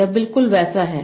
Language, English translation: Hindi, This is the same